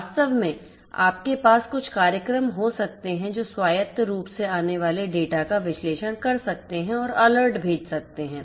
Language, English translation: Hindi, In fact, you could have some programmes which can autonomously which can analyze the data that are coming in and can send alerts